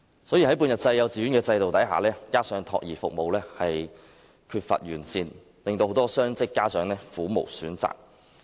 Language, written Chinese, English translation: Cantonese, 在半日制幼稚園的制度下，加上託兒服務有欠完善，令很多雙職家長苦無選擇。, Under the system of half - day kindergartens coupled with inadequate child care services many dual - income parents have no choice